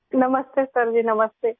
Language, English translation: Urdu, Namaste Sir Ji, Namaste